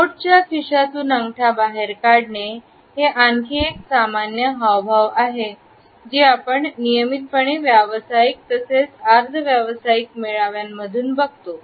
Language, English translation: Marathi, Thumbs protruding from coat pocket is another very common gesture, which we routinely come across in professional as well as in semi professional gatherings